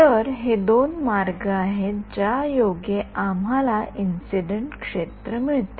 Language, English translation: Marathi, So, those are the two ways in which we get the incident field yeah